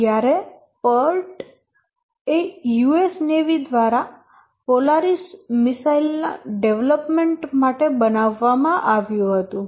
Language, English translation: Gujarati, The part was used by US Navi for development of the Polaris missile